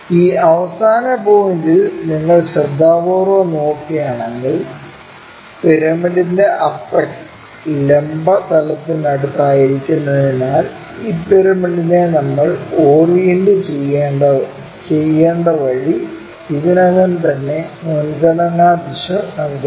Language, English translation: Malayalam, If you are looking carefully at this last point the apex of the pyramid being near to vertical plane that gives us preferential direction already which way we have to orient this pyramid